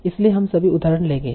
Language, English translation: Hindi, So let's take this example problem